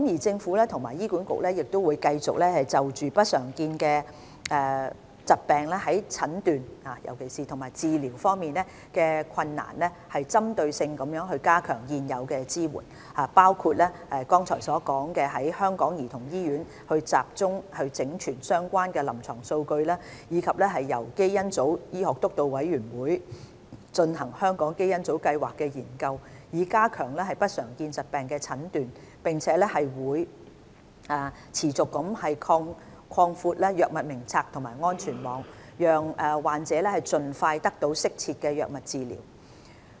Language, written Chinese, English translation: Cantonese, 政府和醫管局會繼續就不常見疾病在診斷及治療方面的困難針對性地加強現有支援，包括剛才所說透過香港兒童醫院集中整存相關的臨床數據，以及由基因組醫學督導委員會進行香港基因組計劃的研究，以加強不常見疾病的診斷；並會持續擴闊藥物名冊及安全網，讓患者盡快得到適切的藥物治療。, The Government and HA having regard to the difficulties in diagnosing and treating uncommon disorders will continue to effect targeted improvement on existing support . The initiatives include centralized compilation of relevant clinical data by the Hong Kong Childrens Hospital as said earlier the Hong Kong Genome Project to be conducted by the Steering Committee on Genomic Medicine to enhance the diagnosis of uncommon disorders . The Drug Formulary and safety net will continually be expanded to let patients receive appropriate drug treatment as soon as possible